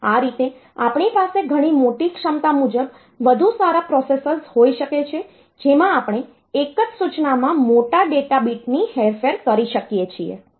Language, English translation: Gujarati, That way we can have much larger capability, capability wise much better processors in which we can manipulate larger data bit in a single instruction